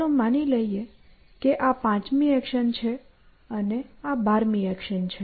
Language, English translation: Gujarati, So, let us say this is the fifth action, and this is the twelfth action